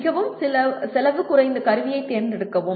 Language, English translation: Tamil, Select the most cost effective tool